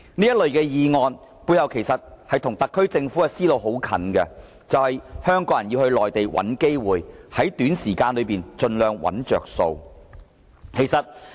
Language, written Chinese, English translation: Cantonese, 這類議案背後的想法其實與特區政府的思路很接近，就是香港人要到內地找機會，在短時間內盡量找"着數"。, The rationale behind such motions is very similar to the thinking of the SAR Government Hong Kong people must look for opportunities in the Mainland with the aim of reaping as many quick gains as possible